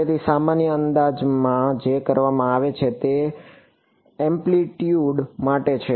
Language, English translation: Gujarati, So, the common approximation that is done is for amplitude